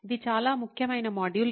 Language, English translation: Telugu, This is a very, very important module